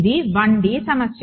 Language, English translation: Telugu, So, it is a 1 D problem